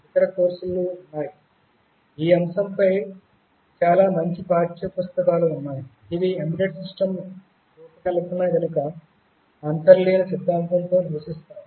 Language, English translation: Telugu, There are other courses, there are very nice textbooks on the subject, which dwell with the underlying theory behind the design of embedded systems